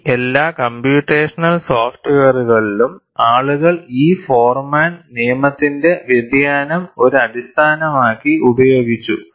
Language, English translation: Malayalam, In all those computational softwares, people have used variation of this Forman law, as the basis